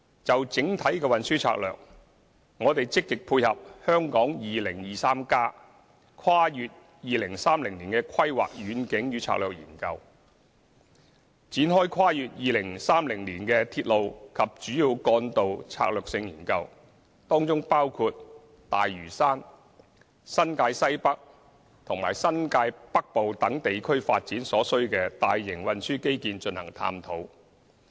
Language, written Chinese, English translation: Cantonese, 就整體的運輸策略，我們積極配合《香港 2030+： 跨越2030年的規劃遠景與策略》研究，展開跨越2030年的鐵路及主要幹道策略性研究，當中包括對大嶼山、新界西北和新界北部等地區發展所需的大型運輸基建，進行探討。, As far as the overall transport strategy is concerned in order to actively complement the study on Hong Kong 2030 Towards a Planning Vision and Strategy Transending 2030 we plan to take forward the Strategic Studies on Railways and Major Roads Beyond 2030 which includes the study on the need to provide major transport infrastructure to tie in with the development of such areas as the Lantau Island Northwest New Territories and New Territories North